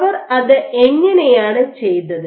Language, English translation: Malayalam, So, how did they go about doing that